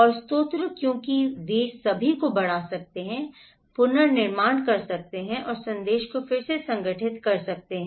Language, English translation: Hindi, And source can because they can all amplify, magnify, reconstruct and deconstruct the message